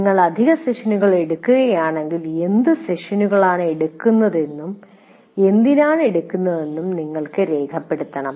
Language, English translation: Malayalam, But if you are taking extra sessions, you should record why you are taking that session